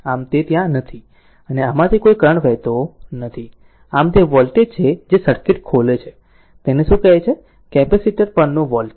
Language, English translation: Gujarati, So, it is not there and no current is flowing through this, so this is the voltage that opens circuit what you call that, voltage across the capacitor